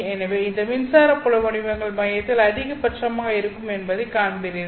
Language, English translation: Tamil, So you will see within this core your electric field patterns are maximum at the center